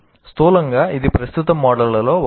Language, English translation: Telugu, Broadly, this is the one of the current models